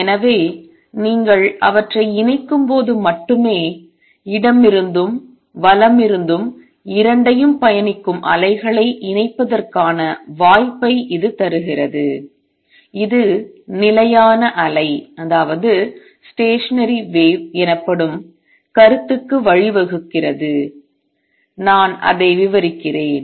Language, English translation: Tamil, So, only when you combine them, it gives you the possibility of combination of waves travelling both to the left to the right now that gives rise to the concept called stationary wave and let me describe that